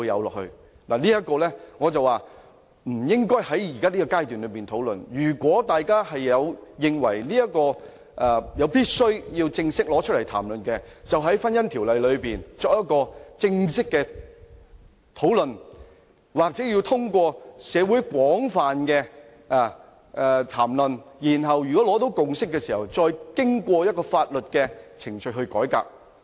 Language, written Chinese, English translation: Cantonese, 我覺得這個議題不應在這個階段討論，如果大家認為有必要正式討論這個議題，可以就《婚姻條例》進行正式討論，或者通過社會的廣泛討論，在取得共識後，再透過法定程序進行改革。, In my view this issue should not be discussed at the present stage . If Members consider that a formal discussion on this issue is necessary we may hold formal discussions when we discuss the Marriage Ordinance . Or we may undertake reform through the statutory process after a consensus has been forged following extensive discussions in society